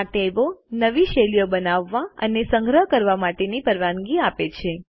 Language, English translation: Gujarati, These tabs allow us to create and save new styles